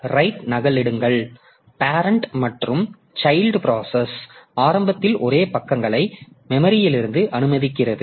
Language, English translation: Tamil, So, copy on right it allows both parent and child processes to initially share the same pages in memory